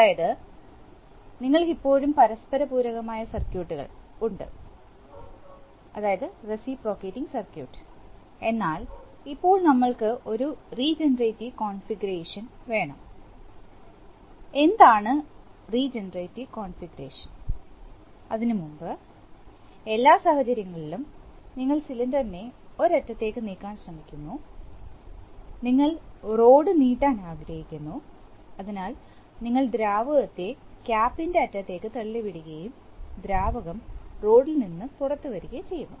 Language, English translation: Malayalam, That, we want to, we are still having reciprocation circuits but now we, now we want to have a regenerative configuration, what is regenerative configuration, so previously you will, you will recall that only in all your cases, when you are trying to move the cylinder one end, suppose you want to move extend the rod, so you push in fluid into the cap end and the fluid comes out at the rod